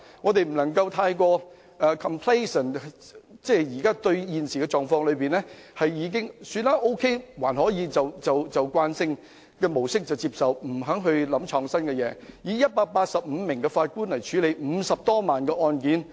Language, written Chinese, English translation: Cantonese, 我們不能夠過於自滿，認為現時的狀況可以接受便沿用慣性的模式，不求創新，繼續以185位法官處理50多萬宗案件。, We should not be so complacent to think that the conventional practices can be preserved as the present situation is acceptable and refuse to innovate . We should not continue to expect that 185 judges can handle more than 500 000 cases